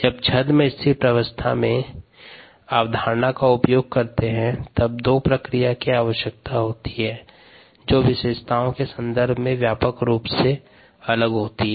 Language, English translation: Hindi, so whenever we use the pseudo study states assumption, we need two processes which are widely separated in terms of the characteristic types